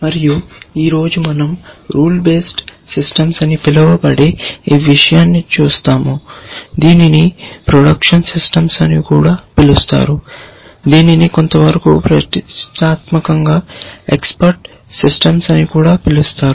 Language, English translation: Telugu, And today we look at this thing called rule based systems, also known as production systems, also somewhat ambitiously known as expert systems